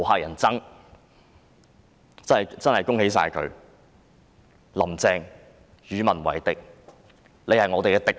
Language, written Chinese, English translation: Cantonese, 我真的要恭喜她，"林鄭"與民為敵，她已成了我們的敵人。, I really wish to congratulate her . Carrie LAM antagonizes the people . She has become our foe